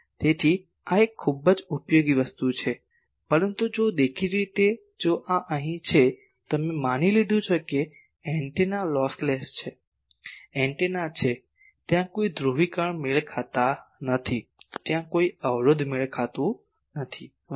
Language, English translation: Gujarati, So, this is a very useful thing but if obviously, if this there are there here, we have assumed that the antenna are lossless, the antennas are there are no polarization mismatch, there are no impedance mismatch etc